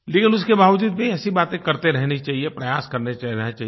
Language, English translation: Hindi, Despite that, one should keep talking about it, and keep making the effort